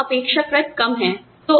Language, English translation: Hindi, The turnover is relatively low